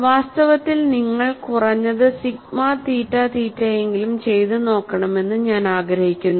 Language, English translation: Malayalam, In fact, I would like you to try out at least sigma theta theta